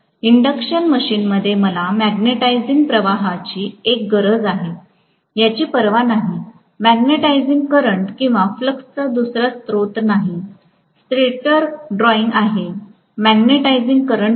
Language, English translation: Marathi, In an induction machine, no matter what I need the magnetising current, there is no other source of the magnetising current or flux, stator is drawing, magnetising current